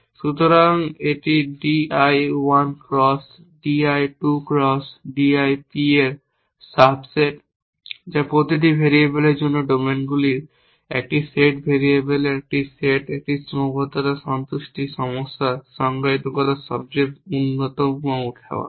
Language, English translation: Bengali, So, it is a sub set of d i 1 cross d i 2 cross d i p that is the most generate way of defining a constraint satisfaction problems a set of variables a set of domains for each variable